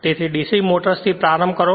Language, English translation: Gujarati, So, we start with DC motors